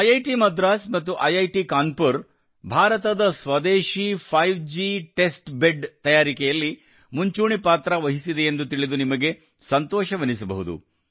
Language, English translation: Kannada, You will also be happy to know that IIT Madras and IIT Kanpur have played a leading role in preparing India's indigenous 5G testbed